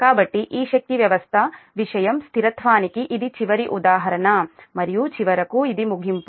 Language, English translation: Telugu, so this is that last example of this power system thing: stability and finally this: what is the conclusion